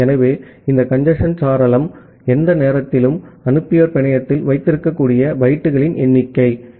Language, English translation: Tamil, So, this congestion window is the number of bytes that the sender may have in the network at any instance of time